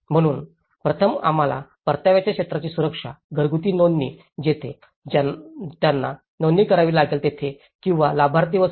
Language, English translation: Marathi, So, first thing we have to ensure the security in the area of return, household registration that is where they have to register or the beneficiaries and all